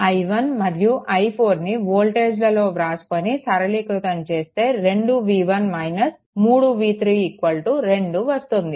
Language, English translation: Telugu, So, you substitute all i 1 and i 4 simplify you will get 2 v 1 minus 3 v 3 v 3 is equal to 2